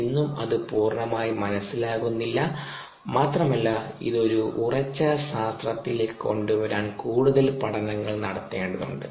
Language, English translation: Malayalam, it's not fully understood even today and ah more works needs to be done to be able to bring it down to a firm science